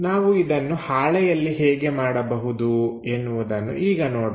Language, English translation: Kannada, Let us look at on the sheet how to construct this